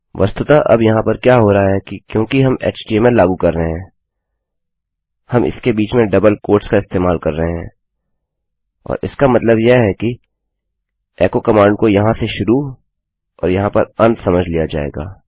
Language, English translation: Hindi, Now whats really happening here is that because we are embedding the html, we are using double quotes in between and this means that the echo command would be read as starting here and ending here